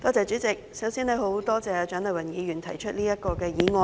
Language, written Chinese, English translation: Cantonese, 主席，首先多謝蔣麗芸議員提出這項議案。, President I first thank Dr CHIANG Lai - wan for proposing this motion